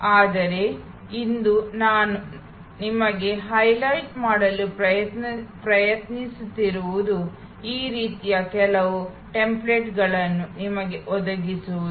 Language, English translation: Kannada, But, today what I am trying to highlight to you is to provide you with some templates like this one